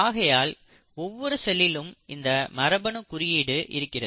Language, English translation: Tamil, So each cell has its genetic code, its information stored in the DNA